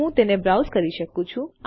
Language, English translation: Gujarati, I can make it browse